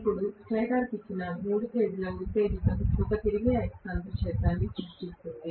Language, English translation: Telugu, Now, three phase excitation given to the stator will create a revolving magnetic field